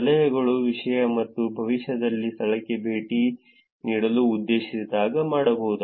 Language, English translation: Kannada, When the tips content or intention to visit the location in the future